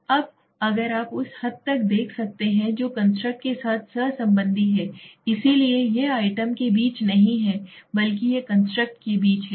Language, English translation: Hindi, Now if you can see that extent to which a measure does not correlate with the other constructs, so it is not between the items but it is between the constructs okay